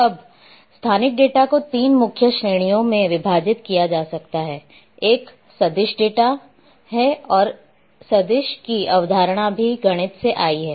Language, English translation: Hindi, Now spatial data can be divided in 3 main categories; one is the vector data again this vector term and also come the concept of vector has also come from mathematics